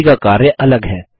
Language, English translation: Hindi, Each one has a different function